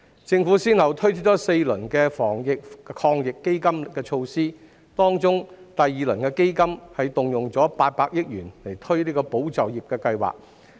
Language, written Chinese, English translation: Cantonese, 政府先後推出4輪防疫抗疫基金措施，當中第二輪基金動用800億元推出"保就業"計劃。, The Government allocated 80 billion to launch ESS under the second of the four rounds of Anti - epidemic Fund measures